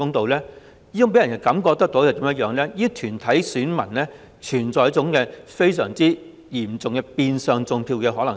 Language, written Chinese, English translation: Cantonese, 這其實會予人一種感覺，就是這些團體的選民中存在着相當嚴重的變相"種票"可能性。, As a matter of fact people have the impression that electors of these corporates may in fact involve in the serious problem of de facto vote - rigging